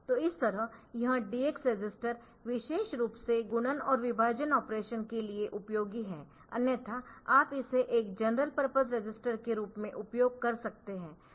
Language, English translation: Hindi, So, that way this DX register is useful particularly for multiplication and division operation, otherwise you can use it for as a general purpose register of course